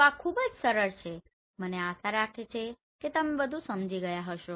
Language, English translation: Gujarati, So this is very simple I hope you have understood